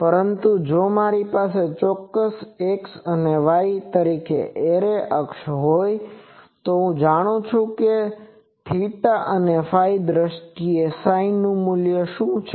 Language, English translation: Gujarati, But, if I have the array axis as a particular x and y, then I know that what is the value of this psi in terms of theta phi